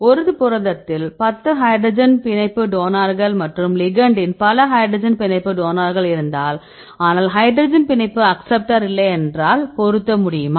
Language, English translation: Tamil, So, we see the complementarity how what is the how many hydrogen bond donors, if there is 10 hydrogen bond donors in the proteins, and the ligand also there are several hydrogen bond donors, but no hydrogen bond acceptor